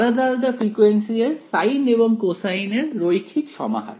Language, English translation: Bengali, Linear combination of sines and cosines of different frequencies right